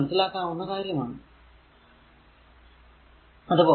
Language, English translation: Malayalam, So, it is understandable to you, right